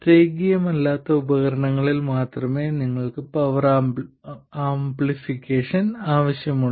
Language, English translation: Malayalam, It's only with nonlinear devices that you need power amplification